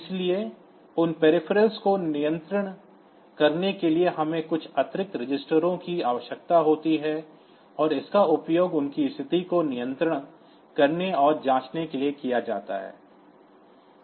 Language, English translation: Hindi, So, controlling those peripherals so, we need to have some additional registers for setting for controlling them and checking the status of them